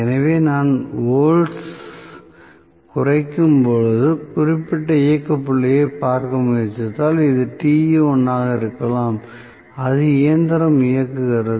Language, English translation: Tamil, So, as I decrease the volts, if I try to look at particular operating point, may be this is Te1, at which the machine is operating